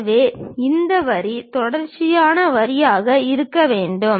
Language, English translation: Tamil, So, this line supposed to be a continuous line